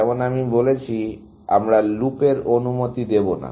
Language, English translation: Bengali, As I said, we will not allow loops